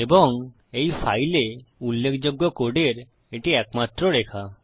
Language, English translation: Bengali, And that is the only line of significant code in this file